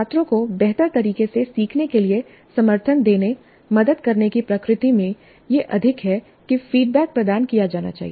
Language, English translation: Hindi, It is more in the nature of supporting, helping the students to learn better that which the feedback must be provided